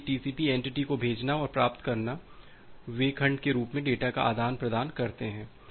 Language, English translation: Hindi, So, the sending and the receiving TCP entities they exchange the data in the form of segment